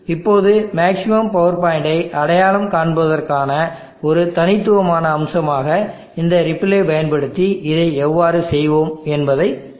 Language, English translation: Tamil, Now let us look about how we will go about doing this using this ripple as a distinguishing feature for identifying the maximum power point